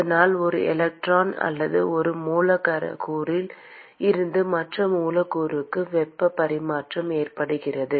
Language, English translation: Tamil, And so there is transfer of heat from one electron or one molecule to the other molecule